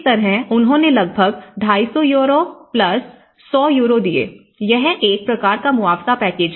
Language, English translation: Hindi, So, that is how they have given about 250 Euros+100 Euros, so that is a kind of compensation package